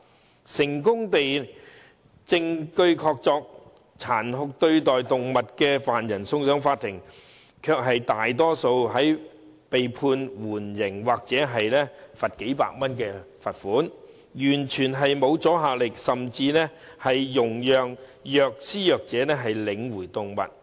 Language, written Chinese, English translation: Cantonese, 即使違法者虐待動物證據確鑿，成功被送上法庭，最終卻多數被判緩刑或罰款數百元，完全沒有阻嚇力，甚至獲准領回動物。, Even if there is sufficient evidence of animal cruelty and the offender is convicted in court in most cases suspended sentence or a fine of several hundred dollars will eventually be imposed . The sentence has no deterrent effect at all and sometimes the offender is even allowed to get the animal back